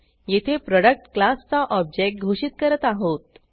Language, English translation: Marathi, Here we are declaring an object of the Product class